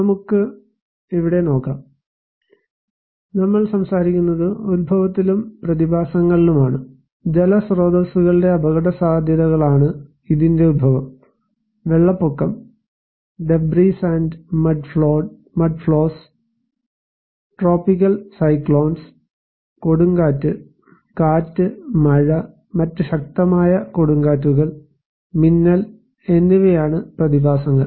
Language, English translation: Malayalam, Let us look here, we are talking in the origin and the phenomena; one origin is hydro meteorological hazards and the phenomena’s are flood, debris and mudflows, tropical cyclones, storm surge, wind, rain and other severe storms, lightning